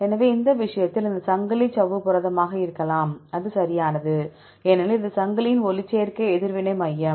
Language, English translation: Tamil, So, in this case this chain could be membrane protein actually that is correct because this is the photosynthetic reaction center of m chain